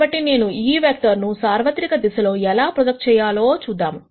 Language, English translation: Telugu, So, I am going to look at how we can project this vectors onto general directions